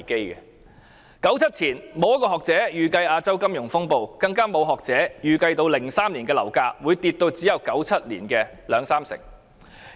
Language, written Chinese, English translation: Cantonese, 1997年前，沒有學者可以預計亞洲金融風暴，更沒有學者可以預計2003年樓價會下跌至只有1997年的兩三成。, Before 1997 no academic could forecast the Asian financial turmoil and no academic could forecast that property prices in 2003 would drop to 20 % or 30 % of the prices in 1997